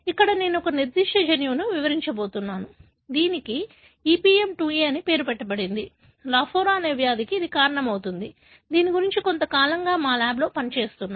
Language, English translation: Telugu, Here, I am going to describe one particular gene, which is named as EPM2A causing a disease called lafora disease that our lab has been working for long time